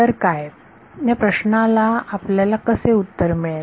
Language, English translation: Marathi, So, what; how will we get an answer to this